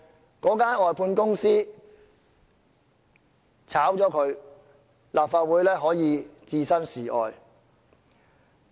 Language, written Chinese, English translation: Cantonese, 如果他們被外判公司辭退，立法會可以置身事外。, If they are dismissed by the outsourced companies the Legislative Council will not have any involvement